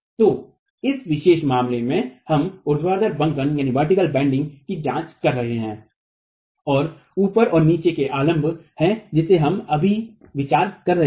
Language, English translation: Hindi, So in this particular case we are examining vertical bending and the top and the bottom are the supports that we are considering now